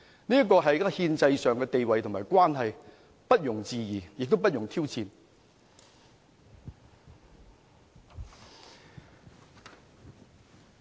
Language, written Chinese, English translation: Cantonese, 這是憲制上的地位和關係，不容置疑，亦不容挑戰。, These are the role and relationship enshrined in the constitutional system which cannot possibly be questioned or challenged